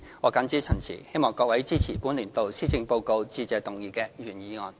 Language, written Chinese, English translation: Cantonese, 我謹此陳辭，希望各位支持本年度施政報告致謝議案的原議案。, With these remarks I hope Members will support the original Motion of Thanks for this years Policy Address